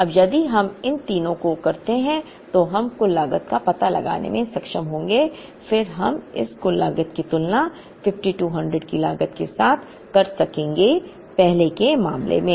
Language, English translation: Hindi, Now, if we do all these three, then we will be able to find out the total costand then we will be able to compare this total cost with the optimal with the cost of 5200 at we obtained in the earlier case